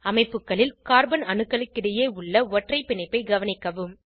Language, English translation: Tamil, Observe the single bond between the carbon atoms in the structures